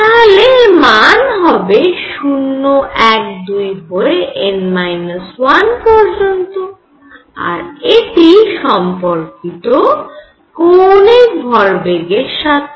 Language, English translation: Bengali, So, l values will be 0, 1, 2 upto n minus 1 and this is related to total angular momentum